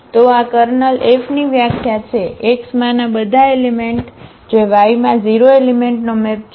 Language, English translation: Gujarati, So, this is the definition of the kernel of F; all the elements in X which map to the 0 element in Y